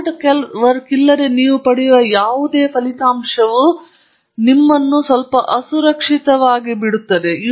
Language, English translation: Kannada, Anything you get without hard work will always leave you a little insecure